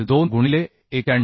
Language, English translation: Marathi, 2 into 91